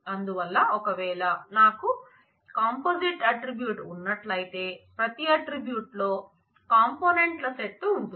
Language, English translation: Telugu, So, if I have a composite attribute, where every attribute has a set of components